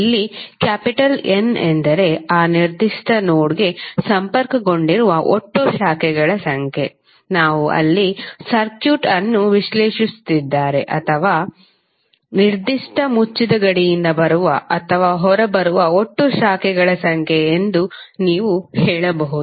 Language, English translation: Kannada, What is N, N is the total number of branches connected to that particular node where we are analysing the circuit or you can say that it is total number of branches coming in or out from a particular closed boundary